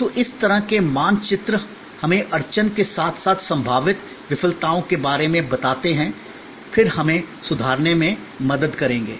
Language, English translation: Hindi, So, this kind of maps tells us about bottleneck as well as possible failures then that will help us to improve